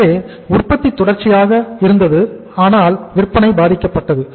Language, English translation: Tamil, So production was continuous but the sales were affected